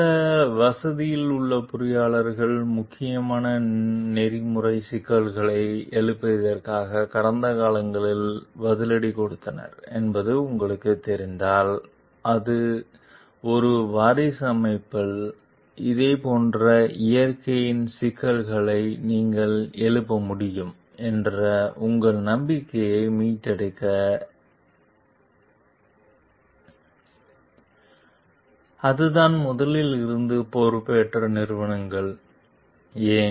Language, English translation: Tamil, If you know that engineers at some facility have been retired retaliated against in the past for raising important ethical issues, what would it take to restore your trust that you could raise issues of a similar nature at a successor organization; so, that is organizations that took over from the first and why